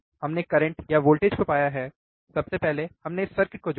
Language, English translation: Hindi, We have found the current or the voltage at the in first we have connected this circuit